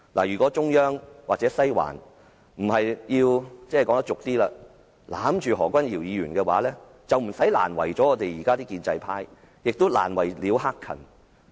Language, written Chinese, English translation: Cantonese, 如果中央或"西環"今次不是要"攬住"何君堯議員，便不用這樣難為建制派和難為了"克勤"。, If it is not because the Central Government or the Western District wants to embrace Dr Junius HO to safeguard him this time the establishment camp and Hak - kan will not be having a hard time